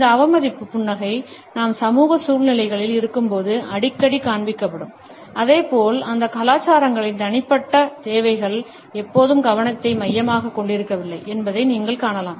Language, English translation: Tamil, This contempt smile is often displayed when we are in social situations and similarly, you would find that in those cultures where the individual needs are not always the focus of attention